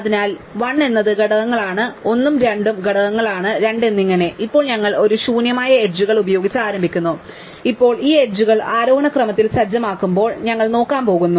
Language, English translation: Malayalam, So, 1 is the components 1 and 2 is components 2 and so on, now we start off with an empty set of edges and now we are going to run through as we said before these edges in ascending order